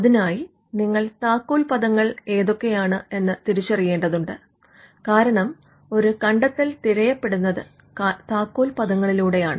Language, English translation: Malayalam, Now, you have to identify keywords because an invention is searched through keywords